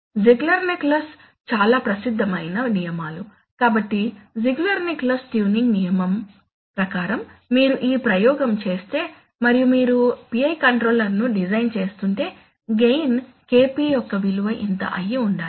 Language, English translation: Telugu, So very famous rules which are Ziegler Nichols, so the Ziegler Nichols tuning rule says that if you do this experiment and if you are designing a PI controller then the value of the gain KP should be this much